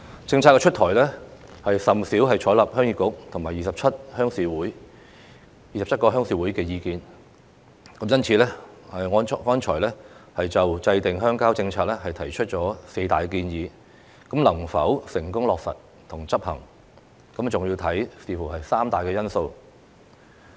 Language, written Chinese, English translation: Cantonese, 政策出台也甚少採納鄉議局和27個鄉事會的意見，因此，我剛才就制訂鄉郊政策提出了四大建議，能否成功落實和執行，還要視乎三大因素。, The Government seldom incorporates the views of the Heung Yee Kuk or 27 Rural Committees when formulating its policies . For that reason the successful implementation of the four major suggestions made by me concerning the formulation of rural development policies will depend on three decisive factors